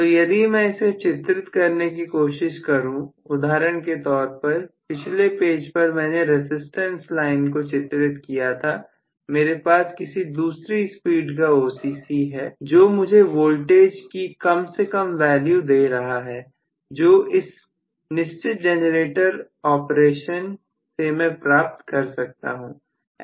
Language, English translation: Hindi, So, if I try to draw it, for example, in the previous page so I had drawn this as the resistance line, first start with so may be if I had, the OCC at another speed, may be so that may be really giving me much lower value of voltage which will come up for this particular generator operation